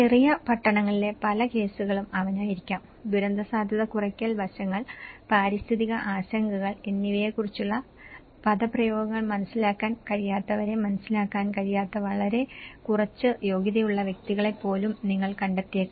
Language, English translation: Malayalam, He might be the many cases in small towns; you might find even very less qualified persons who have not understand who may not be able to understand the kind of terminology of the disaster risk reduction aspects, the environmental concerns